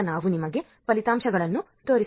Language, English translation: Kannada, Now let us show you the results